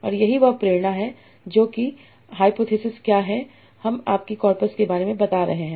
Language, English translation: Hindi, So that's what is the hypothesis that we are having about our corpus